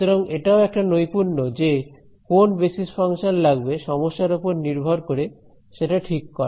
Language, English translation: Bengali, So, this is also bit of a art choosing which basis function depending on the problem